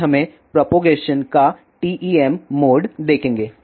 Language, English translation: Hindi, First let us see the TEM mode of propagation